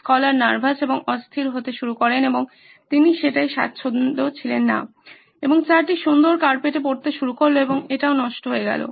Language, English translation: Bengali, Scholar started getting nervous and jittery and he was not comfortable with that idea and the tea started pouring on the lovely carpet and that got ruined also